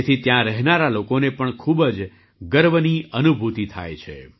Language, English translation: Gujarati, This also gives a feeling of great pride to the people living there